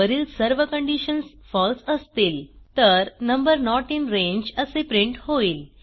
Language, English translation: Marathi, If all of the above conditions are false We print number not in range